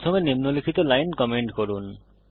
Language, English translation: Bengali, First comment out the following